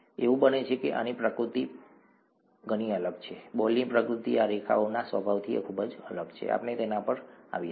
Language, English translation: Gujarati, It so happens that the nature of this is very different from the nature, the nature of the ball is very different from the nature of these lines here, we will come to that